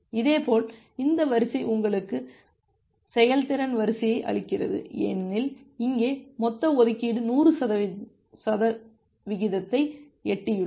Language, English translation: Tamil, Similarly, this line gives you the efficiency line, because here the total allocation has reached to 100 percent